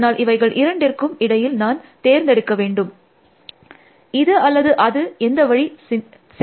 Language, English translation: Tamil, So, I have to choose between this, either this or this, which option is better